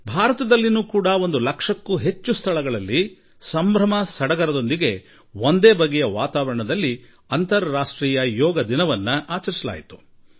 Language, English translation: Kannada, In India too, the International Yoga Day was celebrated at over 1 lakh places, with a lot of fervour and enthusiasm in myriad forms and hues, and in an atmosphere of gaiety